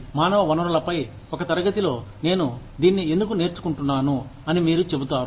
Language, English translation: Telugu, You will say, why am I learning this, in a class on human resources